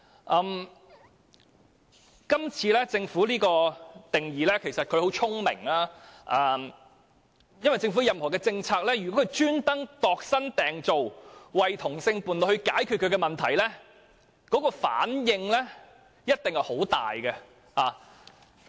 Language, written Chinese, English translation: Cantonese, 政府今次界定"相關人士"的定義時十分聰明，因為如果政府刻意為同性伴侶度身訂造以解決他們的問題，反應一定會十分大。, This time around the Government is very clever in setting the definition of related person because if it deliberately tailor - makes it for same - sex partners to resolve their problems the reaction will certainly be strong